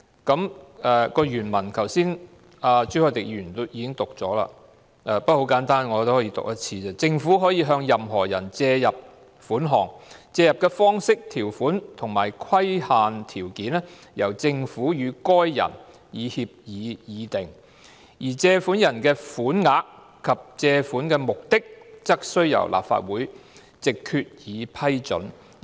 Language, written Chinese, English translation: Cantonese, 朱凱廸議員剛才已讀出法例原文，但條文很簡單，我可重複一次："政府可向任何人借入款項，借入的方式、條款及規限條件由政府與該人以協議議定，而借入的款額及借款的目的則須由立法會藉決議批准"。, Mr CHU Hoi - dick read out the original text of the law but I can repeat it once as the provisions are rather simple The Government may in such manner and on such terms and subject to such conditions as may be agreed between the Government and any person borrow from such person such sum or sums and for such purposes as may be approved by resolution of the Legislative Council